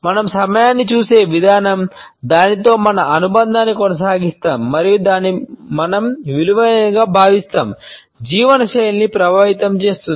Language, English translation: Telugu, The way we look at time, we maintain our association with it and the way we value it, affects the lifestyle